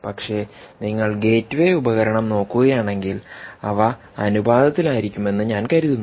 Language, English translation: Malayalam, but if you look at the gateway device, i think, ah, they just maintain proper proportion